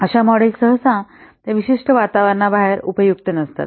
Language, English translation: Marathi, Such models usually are not useful outside of their particular environment